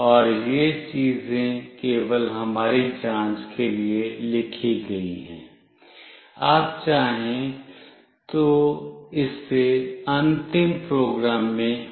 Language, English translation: Hindi, And these things are only written for our checks, you can remove it in the final program if you want